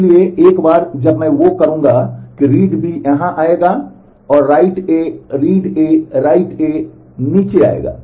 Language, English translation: Hindi, So, once I do that read B will come here and write A read A write A will come down